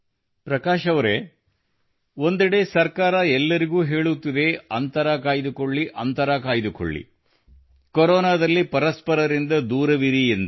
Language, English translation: Kannada, Prakash ji, on one hand the government is advocating everyone to keep a distance or maintain distance from each other during the Corona pandemic